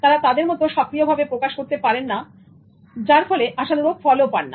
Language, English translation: Bengali, They are not able to communicate their ideas effectively and get the desired result